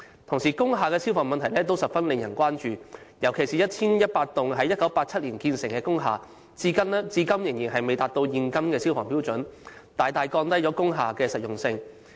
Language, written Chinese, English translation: Cantonese, 同時，工廈的消防安全問題也十分值得關注，尤其是 1,100 幢於1987年前落成的工廈，至今仍然未達至現今的消防標準，大大降低了工廈的實用性。, At the same time fire safety was another issue of concern of industrial buildings especially 1 100 industrial buildings built before 1987 could not meet the present - days fire safety standards which had significantly lowered the functionality of these industrial buildings